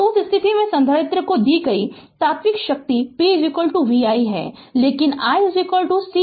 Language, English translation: Hindi, So, in that case, so this instantaneous power delivered to the capacitor is p is equal to v i right, but i is equal to c into dv by dt